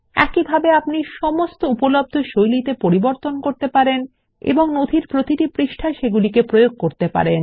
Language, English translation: Bengali, Likewise you can do modifications on all the available default styles and apply them on each page of the document